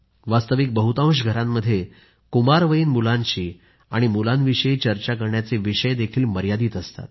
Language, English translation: Marathi, In fact, the scope of discussion with teenagers is quite limited in most of the families